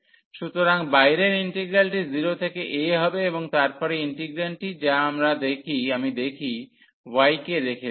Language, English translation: Bengali, So, the outer integral will be 0 to a, and then the integrand which is if I leave y